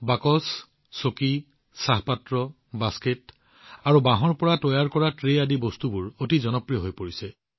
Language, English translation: Assamese, Things like boxes, chairs, teapots, baskets, and trays made of bamboo are becoming very popular